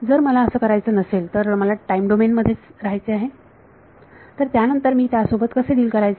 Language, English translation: Marathi, If I do not want to do that, I want to stay in the time domain then how do I deal with